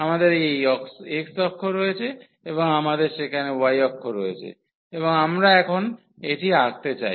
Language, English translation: Bengali, We have this x axis and we have the y axis there and we want to now draw this